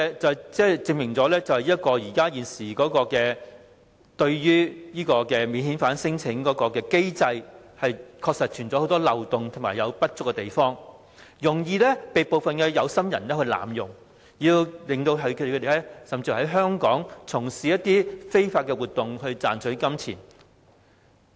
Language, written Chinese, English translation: Cantonese, 這證明了現時的免遣返聲請機制存在很多漏洞，也有不足之處，容易被部分有心人濫用，讓他們有機會在香港從事非法活動，賺取金錢。, This proves that there are a lot of loopholes and inadequacies in the existing mechanism for non - refoulement claim . It can be easily abused by people with ill intention giving them the opportunity to engage in illegal activities in Hong Kong to make money